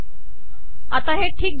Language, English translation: Marathi, So now it looks okay